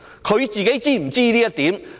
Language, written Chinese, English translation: Cantonese, 她自己是否知悉這一點？, Is she aware of this herself?